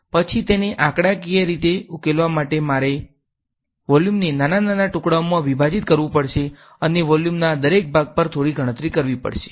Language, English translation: Gujarati, Then to numerically solve it, I have to break up the volume into small small pieces and do some calculation over each part of the volume